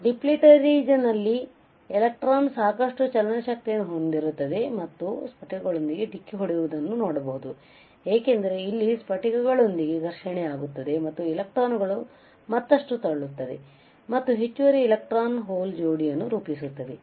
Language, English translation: Kannada, You see when you deplete the region, the electron would have enough kinetic energy and collide with crystals as you can see it is colliding here with crystals and this lurching the electrons further electrons right and forms additional electron hole pair